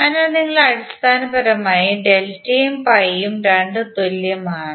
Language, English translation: Malayalam, So essentially, delta and pi both are the same